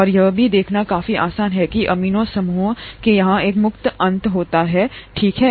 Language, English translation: Hindi, And also itÕs quite easy to see that there has to be one free end here of amino group, okay